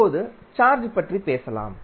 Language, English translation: Tamil, Now, let us talk about the charge